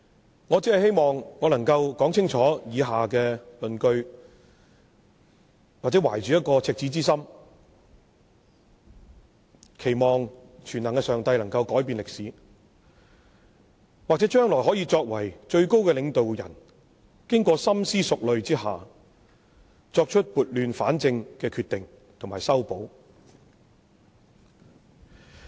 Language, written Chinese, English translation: Cantonese, 主席，我只是希望我能夠說清楚以下的論據，或者懷着赤子之心，期望全能的上帝能夠改變歷史，或者將來讓最高的領導人經過深思熟慮下，作出撥亂反正的決定和修補。, President I only hope that I can spell out the following arguments or with pure sentiments I remain hopeful that the Almighty God can change history or the highest leaders can after careful consideration rectify the situation with their decisions and remedial measures in the future